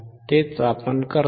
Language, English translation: Marathi, That is what we do